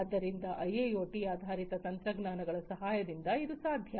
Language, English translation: Kannada, So, this can be possible with the help of a IIoT based technologies